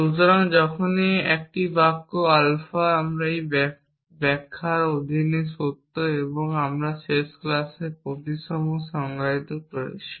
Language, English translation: Bengali, So, whenever a sentences alpha is true under an interpretation and we defined the symmetric in the last class